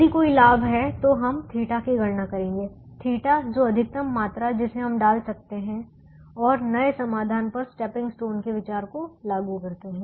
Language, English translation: Hindi, if there is an advantage, then we will compute the theta, the maximum quantity that can be put, and implement the stepping stone idea on the new solution